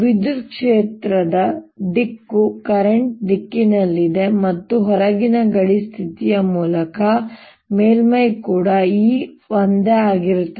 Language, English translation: Kannada, an electric field direction is in the direction of the current and, by boundary condition, right outside the surface